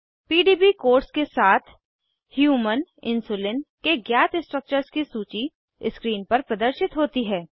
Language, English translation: Hindi, A list of known structures of Human Insulin along with the PDB codes appear on screen